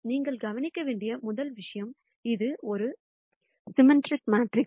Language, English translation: Tamil, First thing that I want you to notice, that this is a symmetric matrix